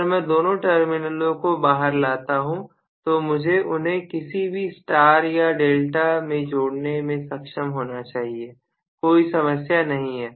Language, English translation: Hindi, If I bring out both the terminals out I should be able to connect them in either star or delta not a problem